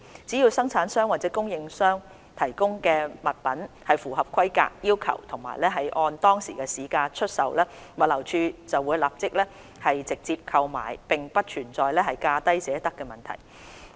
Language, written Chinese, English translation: Cantonese, 只要生產商或供應商提供的物品符合規格要求及按當時市場價格出售，物流署便會立即直接購買，並不存在"價低者得"的問題。, As long as the items provided by the manufacturers and suppliers meet the required specifications and are sold according to prevailing market prices GLD will make an immediate purchase and there is no question of the lowest bid wins